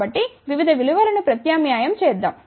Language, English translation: Telugu, So, let just substitute a various values